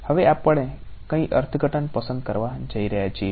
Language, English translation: Gujarati, Now which interpretation now we are going to choose